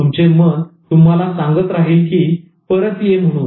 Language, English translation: Marathi, Your mind will keep on telling you to come back